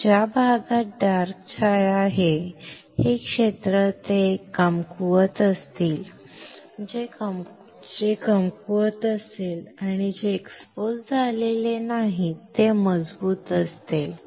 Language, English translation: Marathi, So, the area which is dark shaded, this area, this one, they will be weak this areas would be weak and the areas which are not exposed will be strong, easy